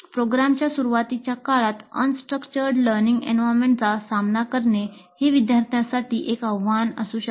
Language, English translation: Marathi, Coping with relatively unstructured learning environment early in the program may be a challenge for the students